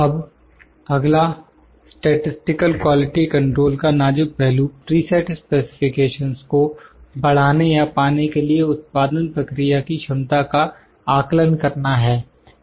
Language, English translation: Hindi, Now, next is critical aspect of Statistical Quality Control is evaluating the ability of a production process to meet or exceed the preset specifications